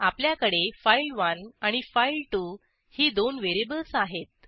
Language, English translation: Marathi, Here we have two variables file1 and file2